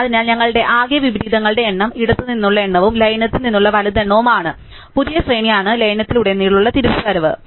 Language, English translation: Malayalam, So, then our total number of inversions is the count from the left and the right count from the merge together and the new array is the one return by the merge